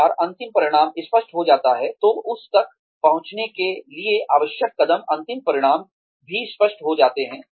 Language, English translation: Hindi, Once the end result is clear, then the steps, that are required to reach that, end result also become clear